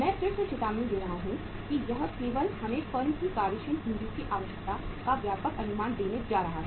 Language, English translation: Hindi, I am cautioning again that this is only going to give us a broad estimate of the working capital requirement of the firm